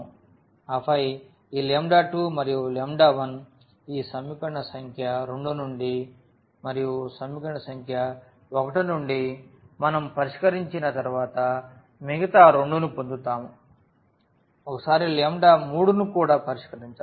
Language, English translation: Telugu, And then this lambda 2 and lambda 1 from this equation number 2 and from the equation number 1 we will get the other 2 once we fix this lambda 3